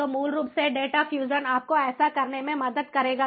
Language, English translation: Hindi, so data fusion, basically, will help you in doing this